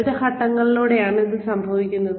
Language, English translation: Malayalam, This happens through various steps